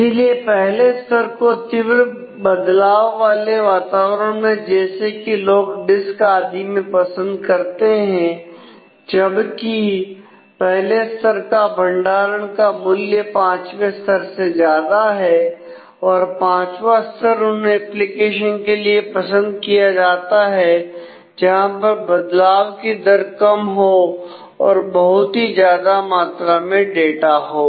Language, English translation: Hindi, So, therefore, level 1 is preferred for high update environments such as log disks and so, on whereas, level one has higher storage cost than 5 also and level 5 is preferred for applications that has low update rate and large volume of data